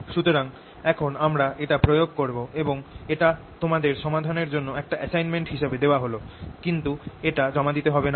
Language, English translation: Bengali, i apply this to this i'll give as an assignment problem for you to solve but not to submit